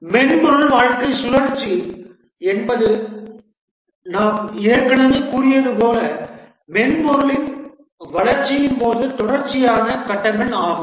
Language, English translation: Tamil, The software lifecycle as we had already said is a series of stages during the development of the software